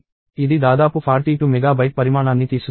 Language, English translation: Telugu, It takes about 42 MB in size